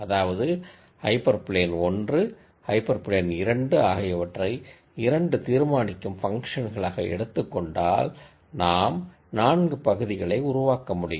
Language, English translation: Tamil, So, for example, if I take hyper plane 1, hyper plane 2, as the 2 decision functions, then I could generate 4 regions